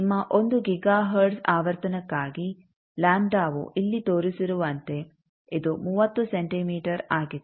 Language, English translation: Kannada, As shown here that lambda for your 1 giga hertz frequency, so it is 30 centimeter